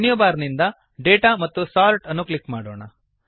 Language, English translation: Kannada, From the Menu bar, click Data and Sort